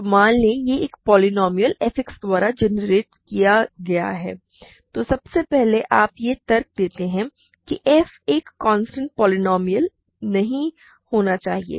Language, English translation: Hindi, So, say it is generated by a polynomial f X, then first of all you argue that f must not be a constant polynomial